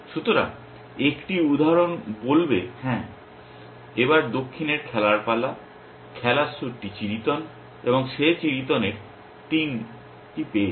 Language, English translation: Bengali, So, 1 instance will says yes it is south’s turn to play, the suit in play is clubs and he has got the 3 of clubs